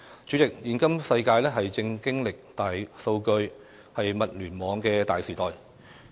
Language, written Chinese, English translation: Cantonese, 主席，現今世界正經歷大數據、物聯網的大時代。, President todays world is experiencing a great era of big data and the Internet of Things